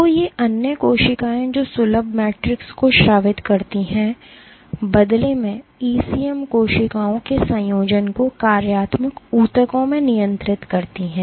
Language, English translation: Hindi, So, these other cells which secrete the accessible matrix, the ECM in return regulates the assembly of cells into functional tissues